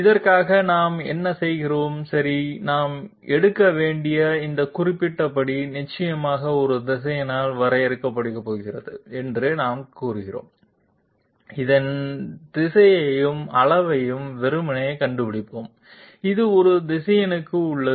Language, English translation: Tamil, For this what we do is, we say that okay this particular step that we have to take is definitely going to be defined by a vector, we simply find out its direction and magnitude which is all there is to it for a vector